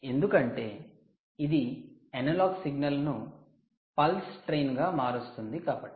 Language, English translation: Telugu, now the analogue signal here is converted to a pulse train